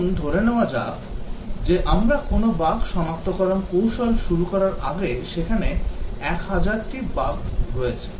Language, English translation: Bengali, Let us assume that 1000 bugs are present before we start any bug detection technique